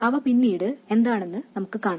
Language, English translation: Malayalam, We will see what those things are later